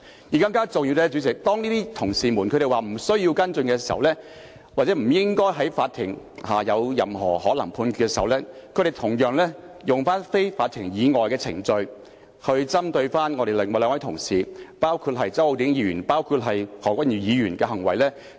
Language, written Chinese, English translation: Cantonese, 更重要的是，代理主席，當這些同事說無須跟進或不應在法庭可能有任何判決前跟進，他們同樣利用非法庭以外的程序來針對另外兩位同事，即周浩鼎議員和何君堯議員的行為。, More importantly Deputy President when these colleagues said that follow - up action was unwarranted or should not be taken before the judgment possibly made by the Court they similarly made use of a procedure outside the Court to pinpoint the conduct of two other Honourable colleagues namely Mr Holden CHOW and Dr Junius HO